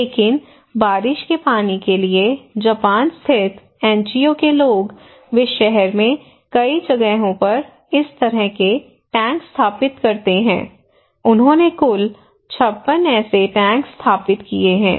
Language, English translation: Hindi, But the people for rainwater one, Japan based NGO, they install this kind of tank in many places in the town they installed 56 such tanks in total they installed more than 250 tanks, okay